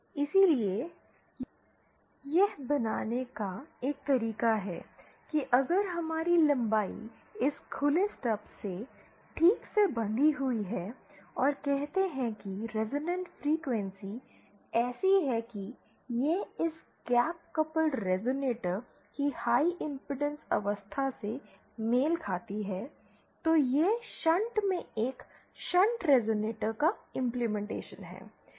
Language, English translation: Hindi, So one way of realising is if we have our length tuned properly of this open stub and say the resonant frequency is such that it corresponds to the high impedance state of this gap coupled resonator then that is an implementation of a shunt resonator in shunt